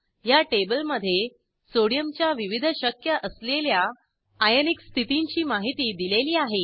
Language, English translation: Marathi, This table gives information about * different Ionic states Sodium exists in